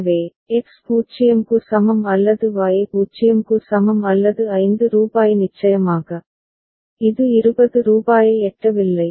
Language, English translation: Tamil, So, X is equal to 0 or Y is equal to 0 or rupees 5 of course, it is not reached rupees 20 ok